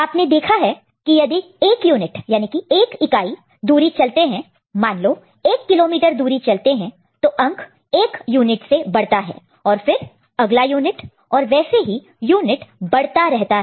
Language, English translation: Hindi, So, you have seen that if 1 unit distance is travelled – say, 1 kilometer distance is travelled, so the number gets increased by 1 unit over here ok, and then next unit and it gets incremented